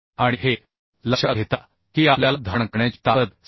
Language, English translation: Marathi, 6 and considering that we found the strength in bearing as 66